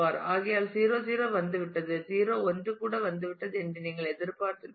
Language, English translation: Tamil, You would have expected that therefore, since 0 0 has come and 0 1 has also come in